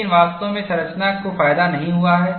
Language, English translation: Hindi, But it does not really benefited the structure